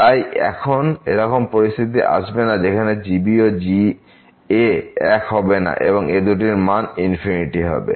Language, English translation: Bengali, So, there will be never such a situation that this will become equal to and this will become infinity